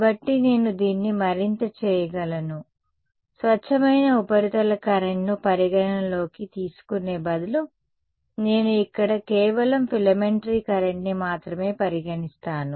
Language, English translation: Telugu, So, I can further do this I can say instead of considering the pure surface current let me con consider just a filamentary current over here right